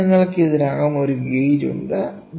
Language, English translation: Malayalam, So, you already have a gauge